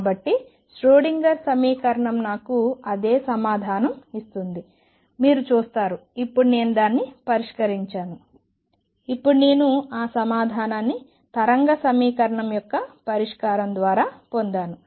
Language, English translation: Telugu, So, you see Schrödinger equation gives me the same answer except, now that I have solved it now I have obtained that answer through the solution of a wave equation